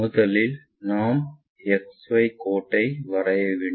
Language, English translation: Tamil, First of all we have to draw XY line